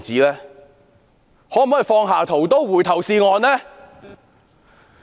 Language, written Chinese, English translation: Cantonese, 請政府放下屠刀，回頭是岸。, Would the Government please lay down its butchers knife and repent